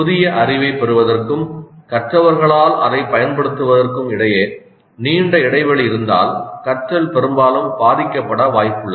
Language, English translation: Tamil, If there is a long gap between the acquisition of the new knowledge and the application of that by the learners the learning is most likely to suffer